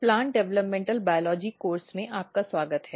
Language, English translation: Hindi, Welcome back to Plant Developmental Biology course